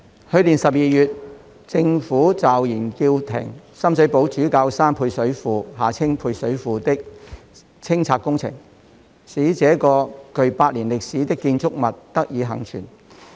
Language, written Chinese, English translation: Cantonese, 去年12月，政府驟然叫停深水埗主教山配水庫的清拆工程，使這個具百年歷史的建築物得以倖存。, In December last year the Government abruptly halted the demolition works for the service reservoir at Bishop Hill in Sham Shui Po enabling this century - old structure to survive